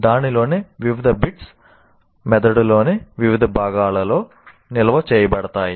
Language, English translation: Telugu, Different bits of that are stored in different parts of the brain